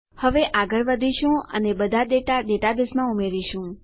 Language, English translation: Gujarati, Now we will go ahead and add all our data into our data base